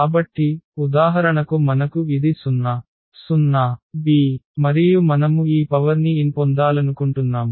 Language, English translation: Telugu, So, for instance we have this a 0 0 b and we want to get this power n there